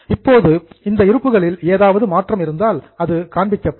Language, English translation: Tamil, Now, if there is any change in those stocks, that will be shown